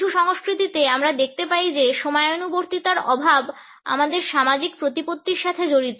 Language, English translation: Bengali, In some cultures we find that lack of punctuality is associated with our social prestige